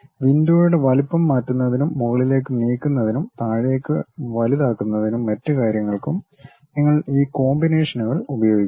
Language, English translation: Malayalam, You use these combinations to really change the size of the window, may be moving up, and down increasing, enlarging and other thing